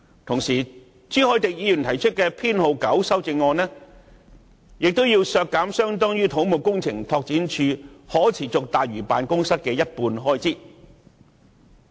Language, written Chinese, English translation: Cantonese, 同時，朱凱廸議員提出的修正案編號 9， 亦要求削減相當於可持續大嶼辦公室的一半開支。, Meanwhile Mr CHU Hoi - dick raises Amendment No . 9 asking to reduce an amount equivalent to about half of the expenditure of the Sustainable Lantau Office